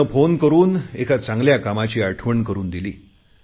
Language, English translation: Marathi, He called me up and reminded me of what I had said